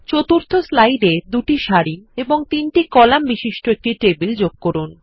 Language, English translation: Bengali, On the 4th slide, create a table of 2 rows and three columns